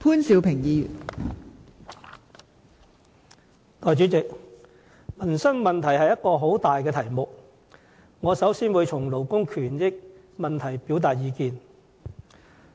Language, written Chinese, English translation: Cantonese, 代理主席，民生問題是個很大的題目，我先從勞工權益方面表達意見。, Peoples livelihood Deputy President is a vast topic so I shall first express my views on labour rights and interests